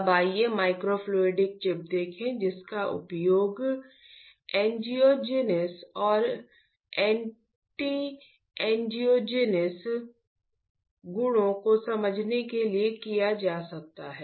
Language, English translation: Hindi, Now, let us see microfluidic chip that can be used to understand angiogenesis and anti angiogenesis properties